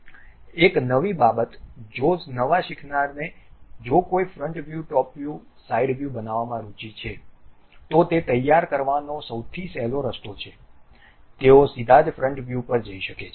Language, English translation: Gujarati, One more thing if because of beginners if one is interested in constructing top view, side view, front view, the easiest way what they can prepare is straight away they can go to front view